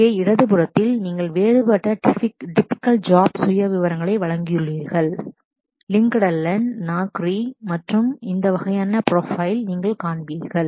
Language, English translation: Tamil, Here on the left, I have given different typical job profiles this is if you look into LinkedIn, Naukri and all that you will find these kind of profiles being